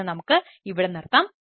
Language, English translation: Malayalam, ah, we will stop here today, thank you